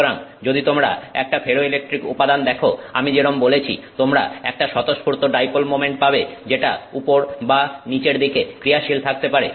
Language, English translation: Bengali, So, if you look at a ferroelectric material as I said, you have a spontaneous dipole moment that can point up or down